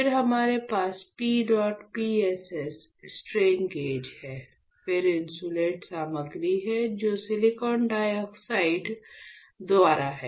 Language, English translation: Hindi, Then we have here PEDOT PSS strain gauge right, then we have insulating material which is by silicon dioxide, alright